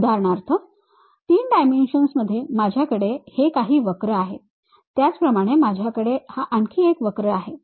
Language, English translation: Marathi, For example, let us take I have some curve in 3 dimensional space similarly I have another curve